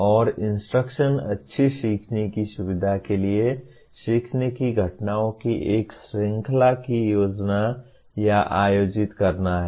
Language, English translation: Hindi, And instruction is planning and conducting or arranging a series of learning events to facilitate good learning